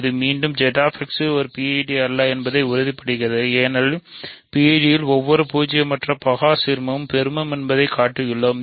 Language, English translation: Tamil, So, this again confirms that Z X is not a PID because in a PID we have shown that every non zero prime ideal is maximal ok